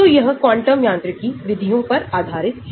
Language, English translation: Hindi, so that is what quantum mechanics methods are based on